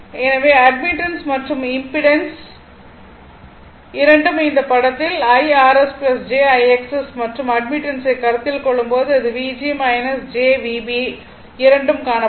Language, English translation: Tamil, So, both admittance and both impedance this figure diagram when you call IR S plus Ithis thing jIX S right that is V and when you when you consider admittance it will V g minus jV b both have been shown right